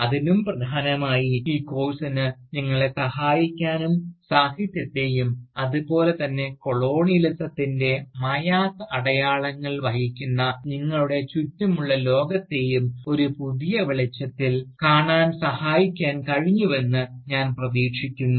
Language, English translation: Malayalam, And, more importantly, I hope, this course has been able to help you, look at Literature, as well as, the World around you, which bears indelible marks of Colonialism, in a whole new light